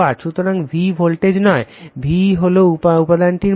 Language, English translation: Bengali, So, your V is not the voltage, V is the value of the material right